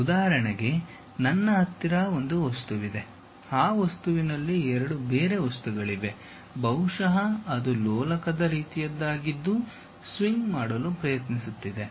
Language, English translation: Kannada, For example, if I have an object having two materials, perhaps it is more like a pendulum kind of thing which is trying to swing